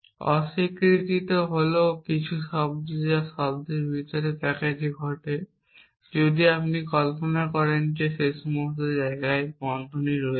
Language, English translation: Bengali, The negation sign is some sense occurs in the inner most package if you imagine brackets all over the places essentially